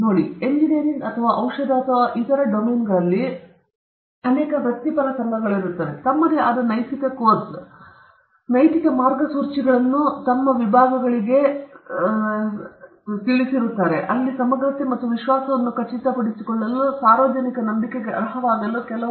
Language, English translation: Kannada, See, many professional associations in engineering or in medicine or various other domains, they have come up with their own ethical course and their own general ethical guidelines which are relevant to their disciplines to ensure integrity and trust this public trust